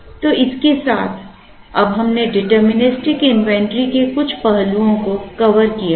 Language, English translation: Hindi, So, with this we have now covered certain aspects of deterministic inventory